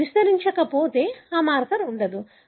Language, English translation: Telugu, If it does not amplify that marker is not present